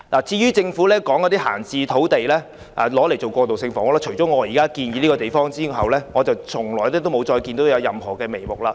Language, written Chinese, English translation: Cantonese, 政府表示要以閒置土地興建過渡性房屋，但除了我建議了選址外，我一直沒看到任何進展。, Although the Government has expressed its wish to build transitional housing on idle sites I have not seen any progress so far . It seems that I am the only one who is working on this proposal by recommending a site